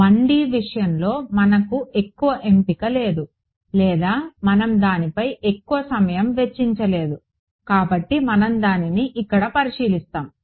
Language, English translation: Telugu, We did not have much of a choice in the case of 1D or we did not spend too much time on it but so, we will have a look at it over here